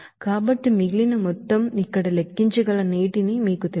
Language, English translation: Telugu, So remaining amount will be you know that water that can be calculated here